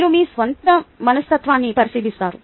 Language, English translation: Telugu, you look into your own psychology